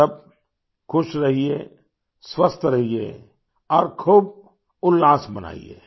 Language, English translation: Hindi, You all be happy, be healthy, and rejoice